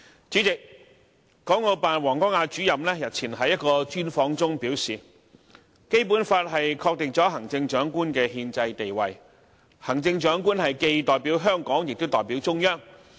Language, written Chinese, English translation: Cantonese, 主席，港澳辦王光亞主任日前在一個專訪中表示，《基本法》確定了行政長官的憲制地位，行政長官既代表香港，也代表了中央。, President Mr WANG Guangya Director of the Hong Kong and Macao Affairs Office of the State Council remarked during an interview some days ago that the Basic Law establishes the constitutional status of the Chief Executive who must represent both Hong Kong people and the Central Authorities